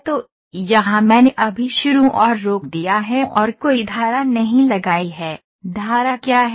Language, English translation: Hindi, So, this is there now I have just put start and stop have not put any stream, what is stream